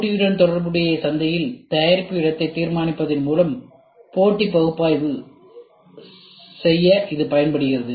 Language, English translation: Tamil, It is used to perform a competitive analysis by determining the product place in the market relative to the competition